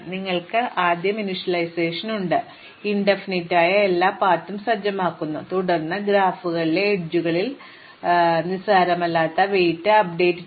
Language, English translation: Malayalam, You just have first initialization which sets every way to infinity and then updates the non trivial weights for those edges which are in the graphs